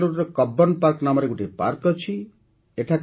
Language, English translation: Odia, There is a park in Bengaluru – Cubbon Park